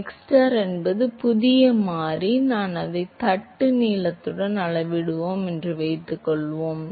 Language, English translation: Tamil, So, suppose I say that xstar is my new variable and I scale it with the length of the plate